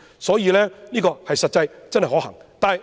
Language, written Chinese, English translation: Cantonese, 所以，這做法是實際可行的。, Hence this proposal is practically feasible